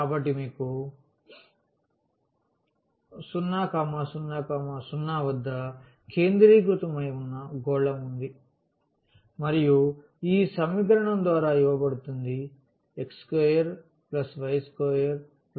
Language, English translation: Telugu, So, we have a sphere which is centered at 0 0 0 and given by this equation x square plus y square plus a square is equal to a square